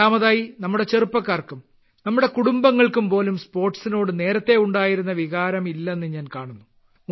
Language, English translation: Malayalam, And secondly, I am seeing that our youth and even in our families also do not have that feeling towards sports which was there earlier